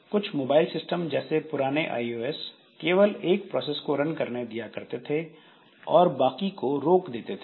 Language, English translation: Hindi, So some some mobile systems for example the early versions of iOS allow only one process to run and others are suspended